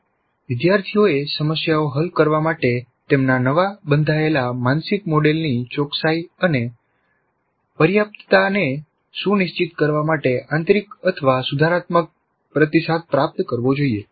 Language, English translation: Gujarati, Learners should receive either intrinsic or corrective feedback to ensure correctness and adequacy of their newly constructed mental model for solving problems